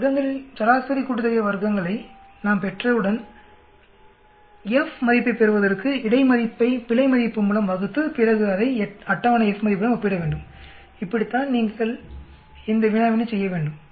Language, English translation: Tamil, Once we get the mean sum of squares, divide the between by error to get the F value than you compare it with the table F value, that is how you do this problem